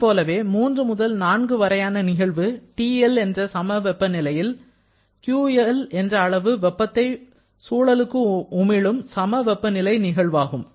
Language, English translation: Tamil, Similarly, this fourth process 3 to 4 is another isothermal process performed at the temperature TL during which QL amount of heat is rejected to the surrounding